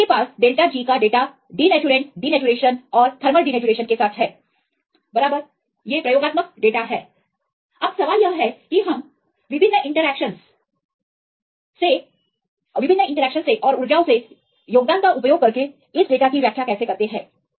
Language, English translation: Hindi, So, you have the data of delta G with the denaturant denaturation and thermal denaturation right these are the experimental data now the question is how we interpret this data using the contribution from different interaction energies